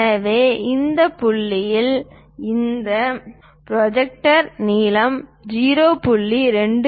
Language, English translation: Tamil, So, this point to that point, this projector length is 0